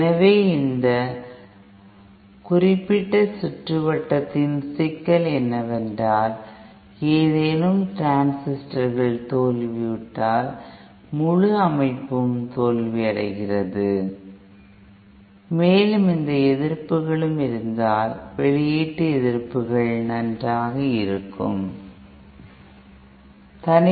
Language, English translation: Tamil, so but the problem with this particular circuit is that, if any of the transistors fail, then the whole system fails and also these resistances, the output resistances have to be fine tuned